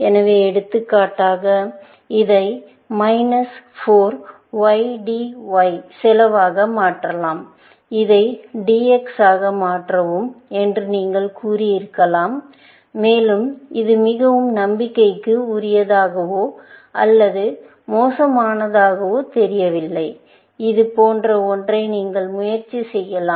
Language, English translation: Tamil, So, for example, you could have said that transform this to cost minus 4 YDY, and transform this into something else, DX, and may be, it does not look so promising or something of even, worst you could try something like this